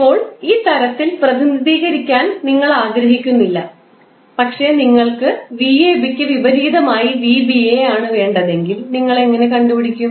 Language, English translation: Malayalam, Now, if you do not want to represent in this form simply you want to represent in the form of v ba that is opposite of that how you will represent